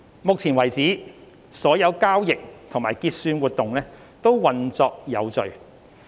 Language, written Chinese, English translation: Cantonese, 目前為止，所有交易及結算活動均運作有序。, As of now all trading and settlement were orderly conducted